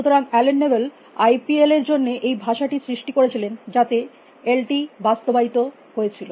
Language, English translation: Bengali, So, Allen Newell created this language for IPL, in which LT was implemented